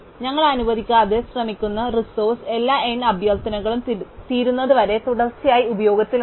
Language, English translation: Malayalam, The resource that we are trying to allocate is continuously in use, until all n requests are finished